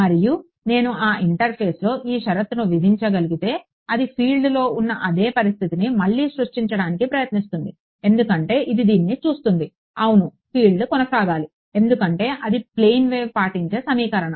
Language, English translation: Telugu, And, if I am able to impose this condition at that interface it will try to recreate the same situation that the field is because it looks at this is yeah the field is suppose to go on because that is the equation obeyed by a plane wave that is travelling unbound right